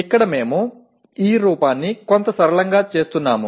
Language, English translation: Telugu, Here we are making this look somewhat simple